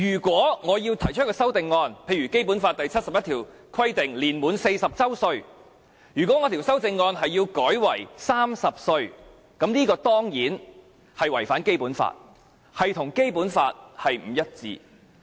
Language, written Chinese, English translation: Cantonese, 舉例來說，《基本法》第七十一條規定立法會主席須年滿40周歲，如果我提出一項修正案要把它改為30周歲，這當然是違反《基本法》，與《基本法》不一致。, For instance Article 71 of the Basic Law stipulates that the President of the Legislative Council shall be a person no less than 40 years of age and if I propose an amendment to change it to 30 years of age this of course violates the Basic Law and is inconsistent with the provision . But this is not the case now